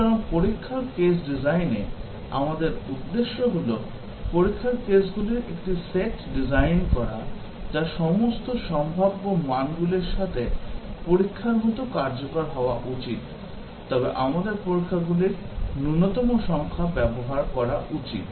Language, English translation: Bengali, So, our objective in test case design is to design a set of test cases, which should be as effective as testing with all possible values, but we should use a minimum number of test cases